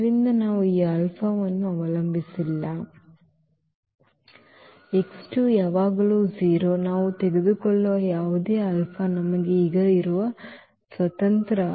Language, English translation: Kannada, So, we do not have even dependency on this alpha, the x 2 is always 0 whatever alpha we take that is the freedom we have now